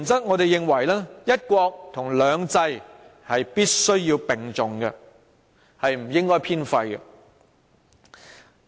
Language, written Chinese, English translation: Cantonese, 我們認為"一國"和"兩制"必須並重，不應偏廢。, We believe that equal importance must be attached to one country and two systems and one should be overemphasized at the expense of others